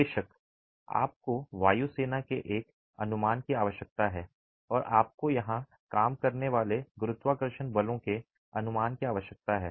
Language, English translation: Hindi, Of course you need an estimate of the wind force and you need an estimate of the gravity forces acting here